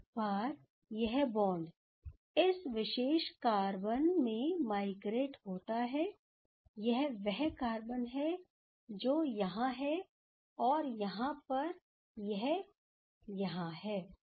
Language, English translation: Hindi, So, now once this bond, these one migrated to these particular carbon, then if we see this is this carbon what is here, so now it is here ok